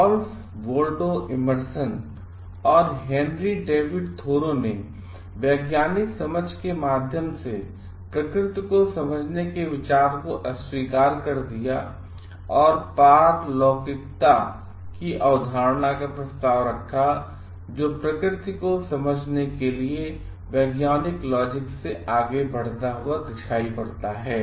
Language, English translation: Hindi, Ralph Waldo Emerson and Henry David Thoreau rejected the idea of understanding nature, through scientific rationality and proposed the concept of transcendentalism; which denotes moving beyond the scientific logics for understanding nature